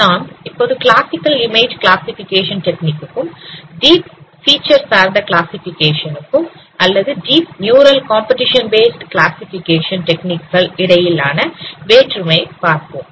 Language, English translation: Tamil, Now let us understand that what is the difference between classical image classification techniques and the deep features based classification techniques or deep neural competition based classification techniques